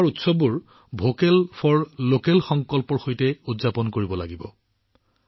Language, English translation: Assamese, We have to celebrate our festival with the resolve of 'Vocal for Local'